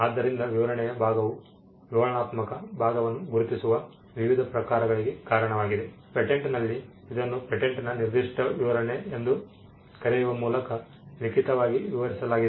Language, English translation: Kannada, So, the description part has led to various forms of recognizing the descriptive part, in a patent it is described in writing by something called a patent specification